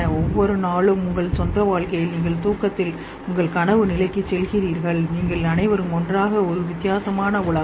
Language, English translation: Tamil, In your own life, in every day you go into your dream state in your sleep and you are a different world altogether